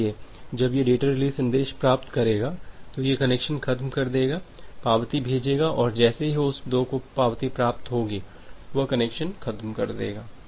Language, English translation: Hindi, So, once it is it is getting these data release message it will release the connection, send the acknowledgement and once host 2 will get that acknowledgement, it will release the connection